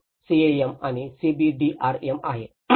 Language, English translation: Marathi, That is where the CAM and CBDRM